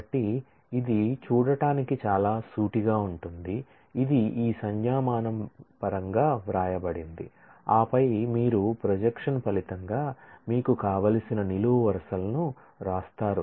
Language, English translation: Telugu, So, this is a quite straightforward to see, it is written in terms of this notation pi and then you write the columns that you want in the result of projection